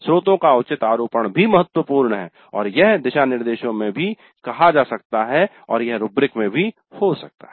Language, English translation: Hindi, So, proper attribution of sources is also important and this can also be stated in the guidelines and it can be there in the rubrics